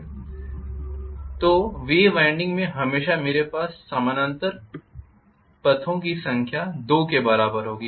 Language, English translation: Hindi, So in wave winding always I will have number of parallel paths equal to 2